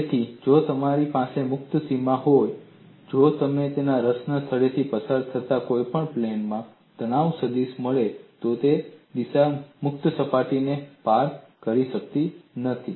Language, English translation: Gujarati, So, if I have a free boundary, if I find in any one of the planes passing through the point of interest, the stress vector, that direction cannot cross a free boundary